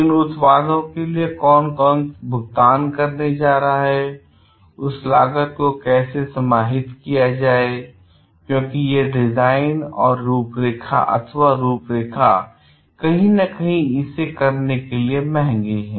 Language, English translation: Hindi, Who is going to pay for those things, how to absorb that cost because these designs are somewhere costly in order to do it